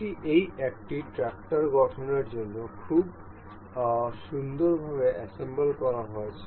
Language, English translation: Bengali, This is been very beautifully assembled to form this one tractor